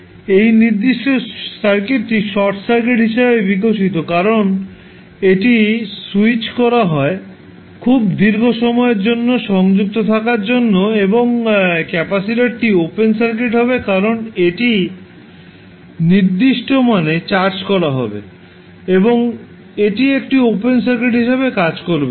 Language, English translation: Bengali, That this particular circuit will give inductor as a short circuit because it is switch is connected for very long period and the capacitor will be open circuit because it will be charge to certain value and it will act as an open circuit